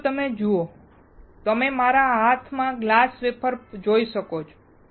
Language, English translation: Gujarati, Now, if you see, you can see the glass wafer in my hand